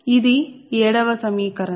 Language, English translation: Telugu, that is equation seven